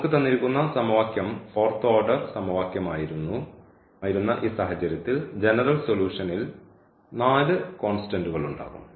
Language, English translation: Malayalam, So, we have the solution now in this case when the equation was the fourth order equation and we will have the four constants in the general solution